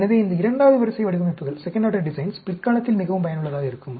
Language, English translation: Tamil, So, this second order designs are extremely useful in the later part